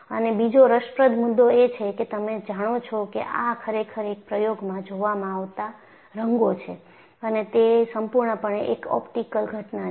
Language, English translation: Gujarati, And another interesting point is these are colors actually seen in an experiment, and it is purely an optical phenomenon